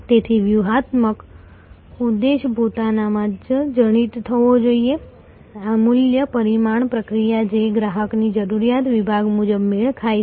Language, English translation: Gujarati, So, the strategic objective should embed in itself, this value creation process which matches the customer requirement segment wise